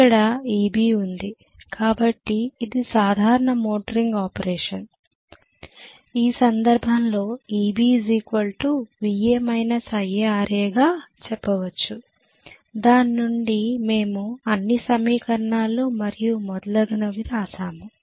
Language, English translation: Telugu, Here is my EB fine, so this is normal motoring operation in which case I am going to have EB equal to VA minus IA RA from which we wrote all the equations and so on and so forth